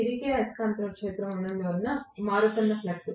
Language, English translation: Telugu, This creates a revolving magnetic field